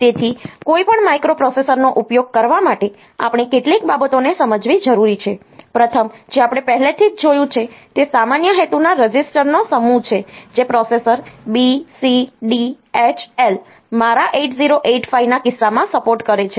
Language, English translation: Gujarati, So, as to use any microprocessor, we need to understand a few things, the first one we have already seen is the set of general purpose registers that the processor supports that B, C, D, H, L in case of my 8085